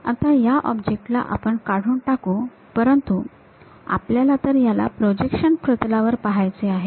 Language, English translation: Marathi, Now, this object we remove, but we would like to really view that on the projection plane